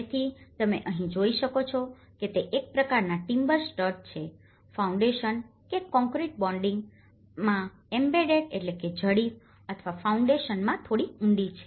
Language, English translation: Gujarati, So, what you can see here is it is a kind of timber studs embedded in the either in the concrete bedding or little deeper into the foundation